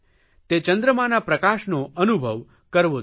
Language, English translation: Gujarati, One should enjoy the moonlight